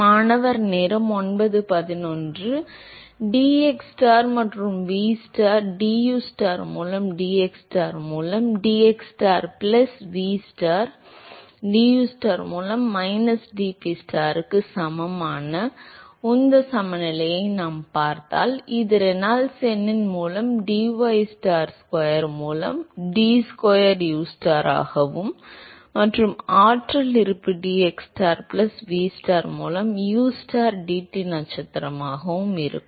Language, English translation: Tamil, So, if we see the momentum balance ustar dustar by dxstar plus vstar dustar by dystar that is equal to minus dPstar by dxstar plus 1 by Reynolds number into d square ustar by d ystar square and the energy balance is ustar dT star by dxstar plus vstar dTstar by dystar that is equal to 1 by Prandtl, Reynolds number d square ustar dTstar by dystar square and you have ustar dCAstar by dxstar plus vstar by dystar square